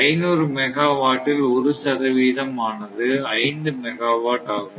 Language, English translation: Tamil, So, 1 percent of these 1 percent of 500 megawatt is equal to 5 megawatt